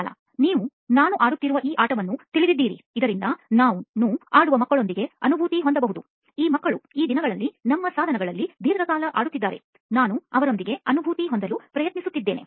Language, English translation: Kannada, You know this game I am playing, so that I can empathise with kids who play on this, these kids these days are playing for our devices on a long time, I am trying to empathise with them